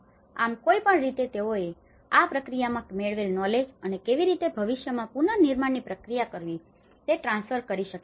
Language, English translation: Gujarati, So, there is no transfer of knowledge what the learning they have gained in this process and how it can be transferred to the future reconstruction projects